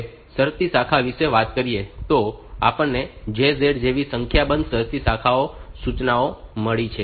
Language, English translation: Gujarati, About the conditional branch so, we have got a number of conditional branch instructions like JZ